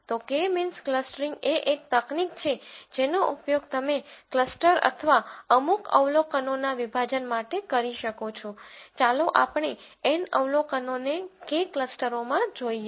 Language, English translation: Gujarati, So, K means clustering is a technique that you can use to cluster or partition a certain number of observations, let us say N observations, into K clusters